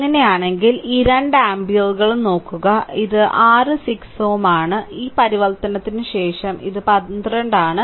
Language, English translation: Malayalam, If you do so, look these two ampere, and this is your what you call this is your 6 ohm right, this 12 after this transformation